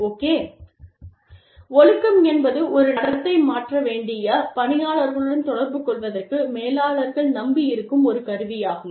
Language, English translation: Tamil, Discipline is a tool, that managers rely on, to communicate to employees, that they need, to change a behavior